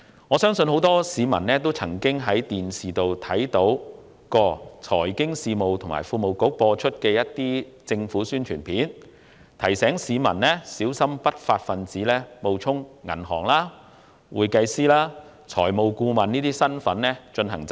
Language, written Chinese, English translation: Cantonese, 我相信很多市民都曾在電視上看過財經事務及庫務局製作的政府宣傳片，提醒市民小心不法分子冒充銀行職員、會計師和財務顧問等進行詐騙。, I believe many people have seen the Announcement of Public Interest produced by the Financial Services and the Treasury Bureau which alerts the public that criminals may falsely identify themselves as staff members of banks certified public accountants and financial consultants etc . in order to commit fraudulent acts